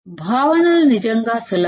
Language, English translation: Telugu, Concepts are really easy